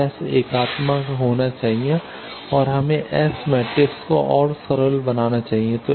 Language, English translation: Hindi, So, S should be unitary and let us further simplify the S matrix